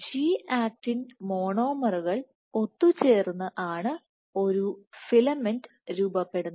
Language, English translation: Malayalam, So, you are G actin monomers, come together to form a filament